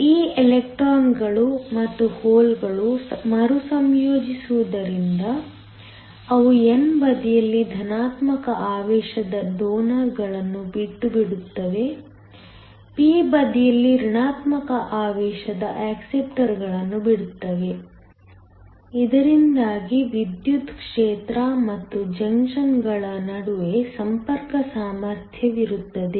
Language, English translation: Kannada, We also found that because these electrons and holes recombine, they leave behind positively charged donors on the n side, negatively charged acceptors on the p side, so that there is an electric field and a contact potential between the junctions